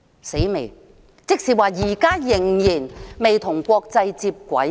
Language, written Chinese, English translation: Cantonese, 真要命，這即是承認我們現時仍然未與國際接軌。, How ridiculous . This implies that we are yet to be on a par with international standards